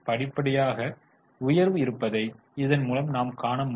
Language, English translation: Tamil, You can see there is a gradual rise